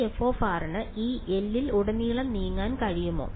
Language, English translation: Malayalam, Can this f of r move across this L